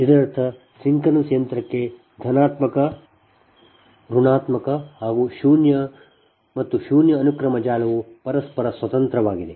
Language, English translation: Kannada, that means for synchronous machine, the positive, negative and sequence network